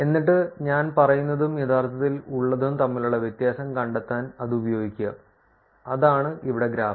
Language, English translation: Malayalam, And then use it for finding the difference between what did I say and what I actually have, that is the graph here